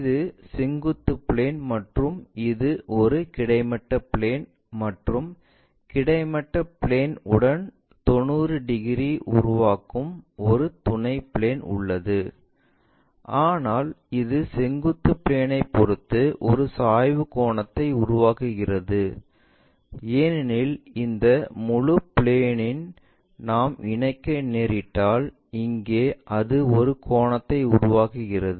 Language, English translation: Tamil, This is vertical plane and this is a horizontal plane and we have an auxiliary plane which is making 90 degrees with horizontal plane, but it makes a inclination angle with respect to vertical plane because if we are connecting this entire plane is going to intersect there and its making an angle